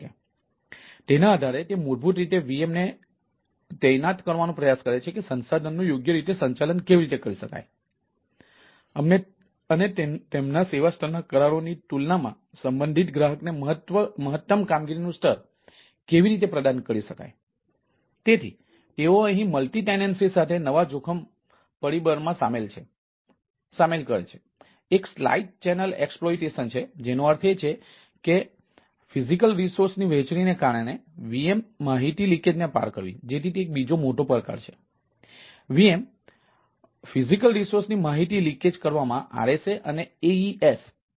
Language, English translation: Gujarati, so, based on that, it basically ah, try to try to deploy the vms ah based on its this ah analysis of that, how resource can be properly managed and maximum ah performance level can be provided to the respective customer visa, vis, their service level agreements, right